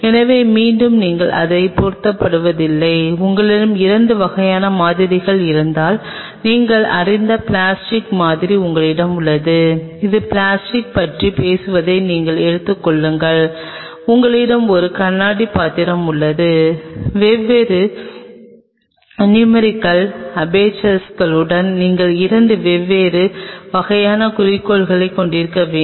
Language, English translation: Tamil, So, again you no mass up with it; if you have two kind of samples say for example, you have plastic sample you know that will be taking yourself on talk about plastic and you have a glass vessel, the you may need to have two different kind of objectives with different numerical aperture